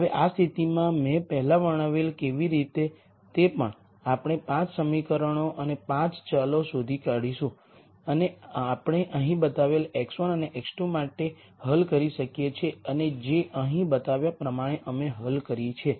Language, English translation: Gujarati, Now much like how I described before in this case also we will be able to find 5 equations and 5 variables and we can solve for x 1 and x 2 which is shown here and we have solved for mu which is shown here